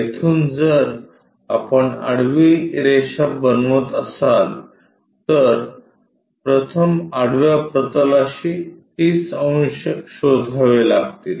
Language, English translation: Marathi, So, from here if we are going to make a horizontal line, first we have to locate 30 degrees to horizontal plane